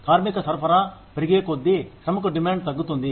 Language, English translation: Telugu, As the supply of labor increases, the demand for labor goes down